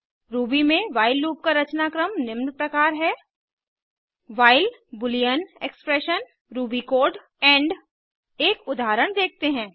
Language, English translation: Hindi, The syntax of the while loop in Ruby is as follows: while boolean expression ruby code end Let us look at an example